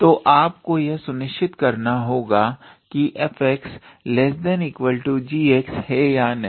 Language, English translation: Hindi, So, you have to make sure that whether f x is less or equal to g x or not